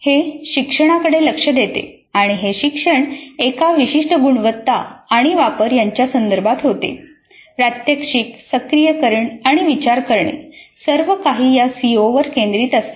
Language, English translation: Marathi, This brings focus to the learning and the learning occurs in the context of a very specific competency and the application and the demonstration and the activation and the reflection all center around this CO